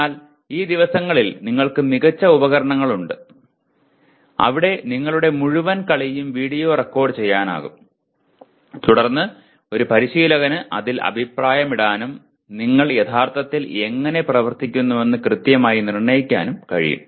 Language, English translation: Malayalam, But these days we have excellent tools where you can video the entire your play and then a coach can comment on that and can exactly pinpoint where you are actually doing